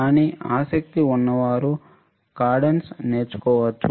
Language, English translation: Telugu, But those who are interested can learn Cadence